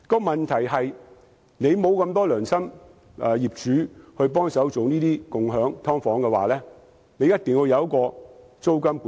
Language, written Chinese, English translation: Cantonese, 問題是，如果沒有那麼多良心業主幫忙提供共享"劏房"，便須實施租金管制。, The point is that partial rent control should be imposed if there are not enough conscientious owners who are willing to help provide subdivided units for sharing